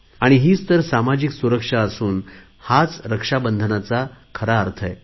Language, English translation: Marathi, And this is what social security in reality is all about; this is the true meaning of Raksha Bandhan